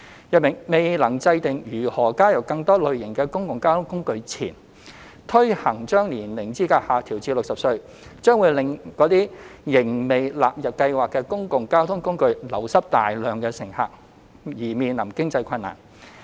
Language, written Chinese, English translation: Cantonese, 如未能制訂如何加入更多類型的公共交通工具前，推行將年齡資格下調至60歲，將會令那些仍未納入優惠計劃的公共交通工具流失大量乘客，因而面臨經濟困難。, If the eligible age is lowered to 60 before a decision is made on how other public transport modes could be included public transport modes that have not been included in the Scheme may lose a large number of passengers and therefore face financial difficulty